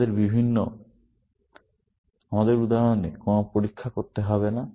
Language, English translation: Bengali, In our example, there is no test to be done